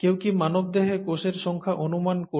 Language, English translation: Bengali, Can anybody guess the number of cells in the human body